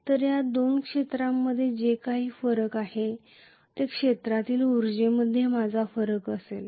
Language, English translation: Marathi, So these two areas whatever is the difference that is going to be my difference in the field energy